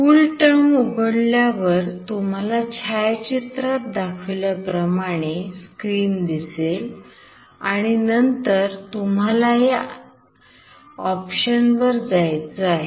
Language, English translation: Marathi, Now once you open the CoolTerm you will get a screen like this and then you have to go to this option